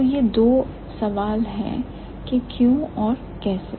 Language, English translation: Hindi, So, these are the two questions why and how